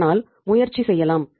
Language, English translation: Tamil, So that can be tried